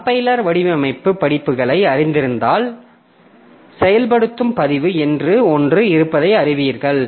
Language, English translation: Tamil, So, if you are familiar with compiler design courses, so you will know that there is something called activation record